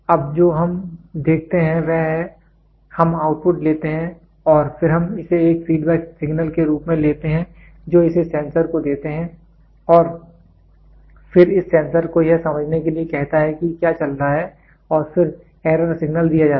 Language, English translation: Hindi, Now, what we see is we take the output and then we take it as a feedback signal give it to the sensor and then ask this sensor to understand what is going on and that is error signal is given